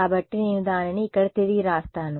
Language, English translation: Telugu, So, I just rewrite it over here